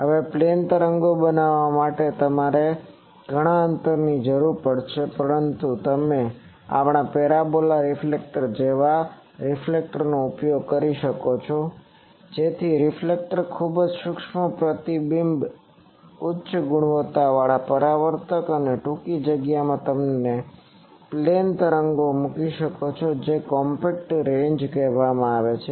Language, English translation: Gujarati, Now to create plane waves you would require a lot a lot of distance, but you can use reflectors like our parabola reflector, so that reflector very fine reflector very high quality reflector and in a short space you can put plane waves those are called compact ranges